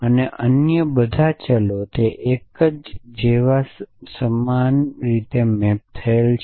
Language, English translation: Gujarati, And all other variables it maps identically as in a